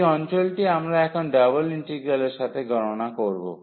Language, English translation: Bengali, So, this is the area we are going to compute now with the help of double integral